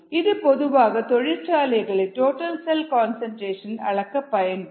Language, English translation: Tamil, so those are the methods for total cell concentration measurement